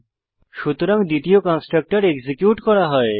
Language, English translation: Bengali, So the second constructor gets executed